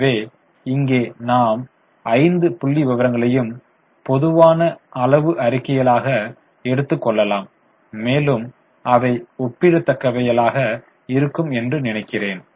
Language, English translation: Tamil, So, here now we are taking all the five figures as common size statements and I think they become much better comparable